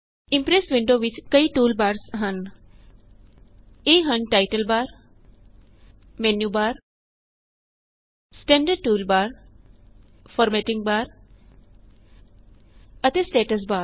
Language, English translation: Punjabi, The Impress window has various tool bars like the title bar, the menu bar, the standard toolbar, the formatting bar and the status bar